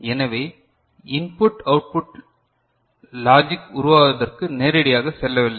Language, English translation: Tamil, So, input does not directly go to the output logic generation